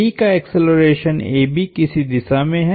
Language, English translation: Hindi, The acceleration of B is in some direction